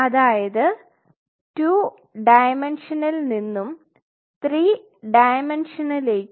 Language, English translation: Malayalam, From 2 dimension to 3 dimension